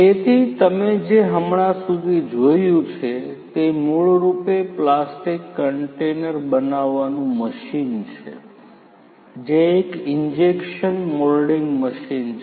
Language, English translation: Gujarati, So, what you have just seen so far is basically a plastic container making machine which is an injection moulding machine